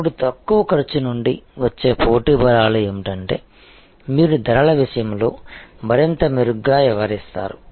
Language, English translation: Telugu, Now, competitive strengths that come up from the lower cost is that you have a much better handle on pricing